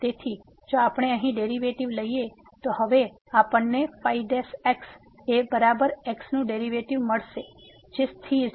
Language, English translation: Gujarati, So, what will now give us if we take the derivative here the is equal to the derivative of minus this is a constant